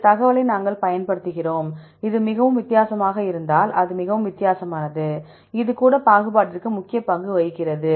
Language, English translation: Tamil, And we use this information, if it is very highly different for example; this is highly different, even this plays important role for discrimination